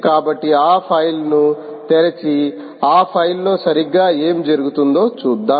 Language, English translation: Telugu, so lets open that file and see what exactly happens in that file